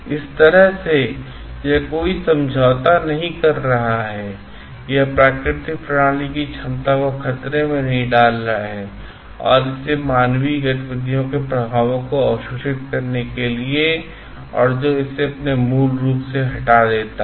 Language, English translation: Hindi, In such a way that it is not compromising on, it is not endangering the capacity of the natural system, and to absorb the effects of this human activities and which makes it depletes from its original form